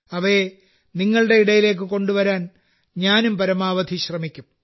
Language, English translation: Malayalam, I will also try my best to bring them to you